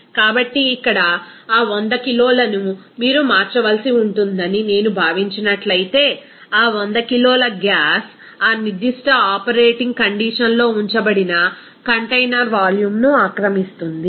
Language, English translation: Telugu, So, if I considered that here that 100 kg you have to convert it that what should be that 100 kg of that gas will occupy what will be the volume of that container at which is it is kept at that particular operating condition